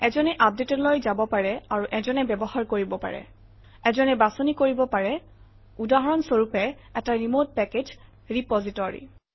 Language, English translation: Assamese, One can go to update and one can use – one can select, for example, a remote package repository